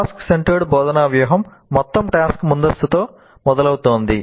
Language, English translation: Telugu, The task centered instructional strategy starts with the whole task upfront